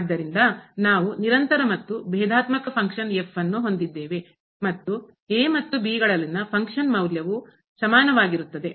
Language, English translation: Kannada, So, we have a function which is continuous and differentiable and the function value at and both are equal